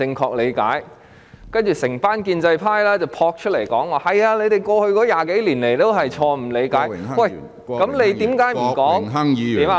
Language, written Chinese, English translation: Cantonese, 其後，一眾建制派撲出來說："是的，你們過去20多年以來也是錯誤理解"，那他們何不說......, Subsequently the pro - establishment camp all jumped to the forefront saying Yes your interpretation over the past 20 - odd years was wrong . If so why do they not say that